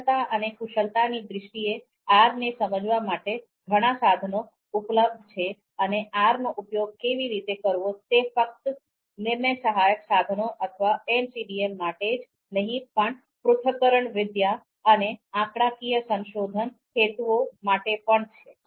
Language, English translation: Gujarati, So in terms of skills and expertise, there are more resources that are available to understand R and how to use R, not just for decision support tools or MCDM, but even for you know analytics and statistical you know research purposes